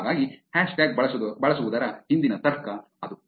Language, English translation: Kannada, So, that is the logic behind using a hashtag